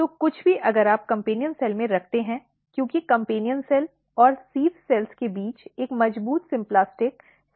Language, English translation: Hindi, So, anything if you put in the companion cell, because there is a strong symplastic cell to cell communication between companion cell and sieve cells